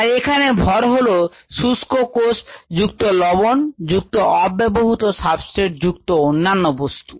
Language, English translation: Bengali, the mass that is measured would contain dry cells plus the salts, plus you unutilise substrate, plus the other things